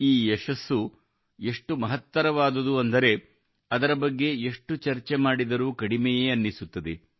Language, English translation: Kannada, This success is so grand that any amount of discussion about it would be inadequate